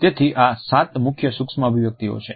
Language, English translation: Gujarati, So, those are the seven major micro